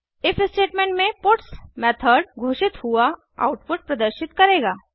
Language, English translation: Hindi, The puts method declared within the if statement will display the output